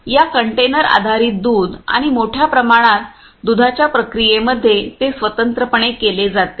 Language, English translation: Marathi, In the processing of this container based milk and also the bulk milk it is done separately ah